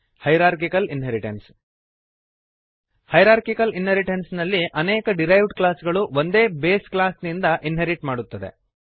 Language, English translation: Kannada, Hierarchical Inheritance In Hierarchical Inheritance multiple derived classes inherits from one base class